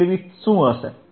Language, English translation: Gujarati, What is Bandwidth